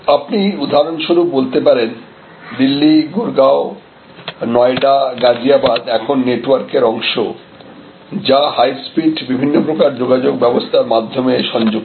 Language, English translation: Bengali, So, this you can say for example Delhi and Gurgaon and Noida and Ghaziabad are now actually all part of network themselves connected through high speed different types of transport linkages